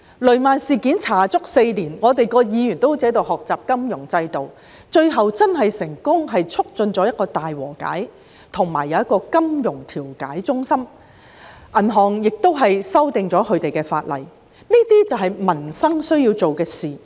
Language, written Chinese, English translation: Cantonese, 雷曼事件的調查歷時足足4年，各議員便彷如學習金融制度般，最後成功促進大和解，並成立金融糾紛調解中心，亦修訂了與銀行業相關的法例，這才是我們需要為民生做的事情。, The inquiry into the Lehman incident spanned a solid four years . Various Members were like students learning about the financial system and in the end we facilitated the conclusion of a settlement and the setting up of the Financial Dispute Resolution Centre and the legislation relating to the banking industry was also amended . This is rather what we need to do for peoples livelihood